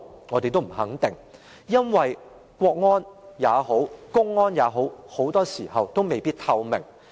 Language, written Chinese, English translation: Cantonese, 我們也不肯定，因為國安也好，公安也好，其做法很多時候未必透明。, We are not sure about it either because be it the Ministry of State Security or Public Security very often their practice may not be transparent